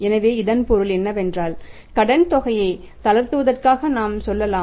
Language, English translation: Tamil, So, it means we can go for say relaxing the credit policy